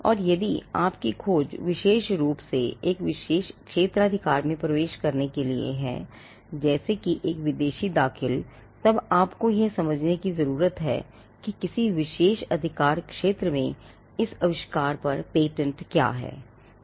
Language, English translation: Hindi, So, or if your search is particularly to enter a particular jurisdiction; say, a foreign filing then you would stipulate that you need to understand what is the patenting on this invention in a particular jurisdiction